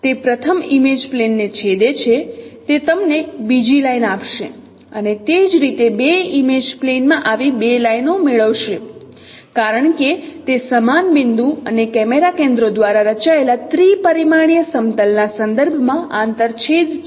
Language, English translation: Gujarati, So that intersection with the first image plane, it will be giving you another line, say, and similarly you get two such lines in two image planes because no intersections with respect to the three dimensional plane found by scene point and camera centers